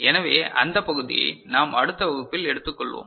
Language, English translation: Tamil, So, that part we shall take up in next class